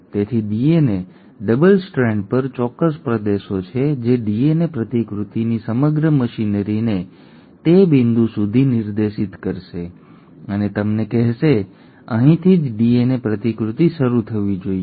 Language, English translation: Gujarati, So there are specific regions on the DNA double strand which will direct the entire machinery of the DNA replication to that point telling them, that this is where the DNA replication should start